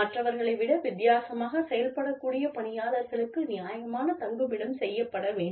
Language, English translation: Tamil, Reasonable accommodation should be made for employees, who are likely to perform, differently than others